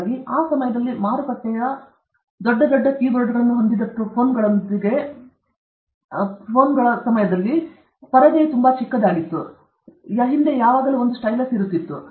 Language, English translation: Kannada, So, when the market, at the time, was flooded with phones, which had big big keyboards, and the screen was very small okay, and there was always a stylus at the back